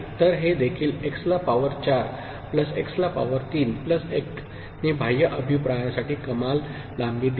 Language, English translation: Marathi, So, this also x to the power 4 plus x to the power 3 plus 1 gave maximum length for external feedback